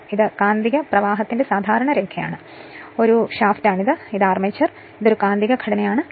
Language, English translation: Malayalam, So, this is the typical line of magnetic flux, this is a shaft, this is the armature and this is a magnetic structure